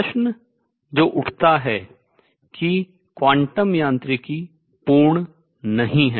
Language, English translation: Hindi, The questions that arises that quantum mechanics is not complete